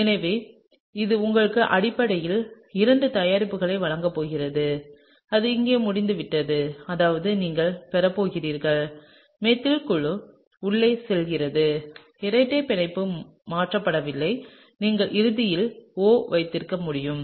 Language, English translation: Tamil, So, this is going to give you basically two products; that is over here, that is you are going to have, the methyl group is going in, the double bond is not shifted you can have O eventually, right